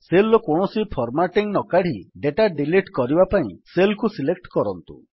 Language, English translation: Odia, To delete data without removing any of the formatting of the cell, just select a cell